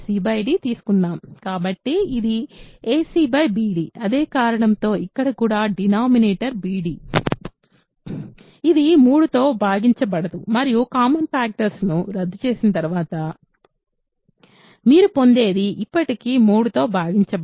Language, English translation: Telugu, So, here also denominator is bd which is not divisible by 3 and after cancelling common factors what you get is still not divisible by 3